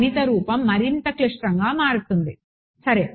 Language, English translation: Telugu, The mathematical form will become more and more complicated ok